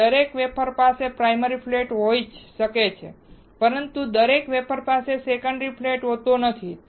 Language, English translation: Gujarati, So, every wafer has primary flat, but not every wafer has secondary flat